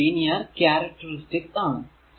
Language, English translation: Malayalam, Because it is a linear characteristic